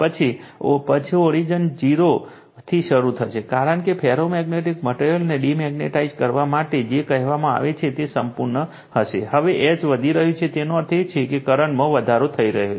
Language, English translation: Gujarati, Then we will starting from the origin that 0, because we have totally you are what you call demagnetize the ferromagnetic material, now we are increasing the H that means, we are increasing the current I say right